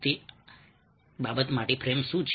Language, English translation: Gujarati, what is a frame, for that matter